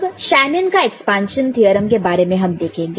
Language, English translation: Hindi, And we shall also have a look at Shanon’s expansion theorem